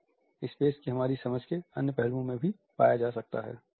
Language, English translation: Hindi, This can be found in other aspects of our understanding of space